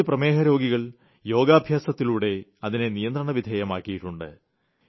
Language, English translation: Malayalam, Some diabetic patients have also been able to control it thorough their yogic practice